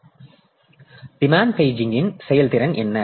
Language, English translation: Tamil, Now, what is the performance of demand paging